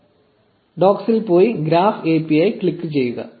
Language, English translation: Malayalam, Just go to docs and click on graph API